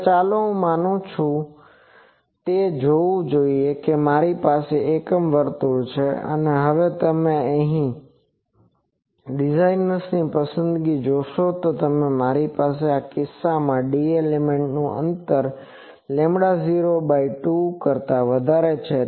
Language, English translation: Gujarati, Now, let us see I think so, if I have an unit circle and now you see a designers choice, if I have in this case the d element spacing is greater than lambda 0 by 2